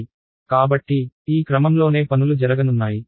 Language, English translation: Telugu, So, this is the order in which things will be done